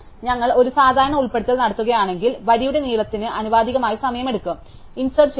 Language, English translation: Malayalam, So, if we do a usual insertion it takes time proportional to the length of the row, we are inserting into